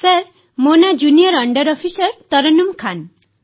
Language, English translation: Odia, Sir, this is Junior under Officer Tarannum Khan